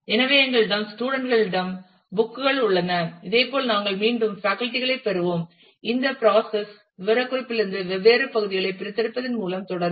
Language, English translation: Tamil, So, we have books we have students similarly we will have faculty again the there is this process will continue by extracting different parts from the specification